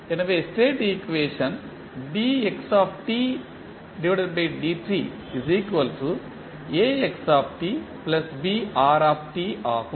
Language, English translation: Tamil, So, what is the state equation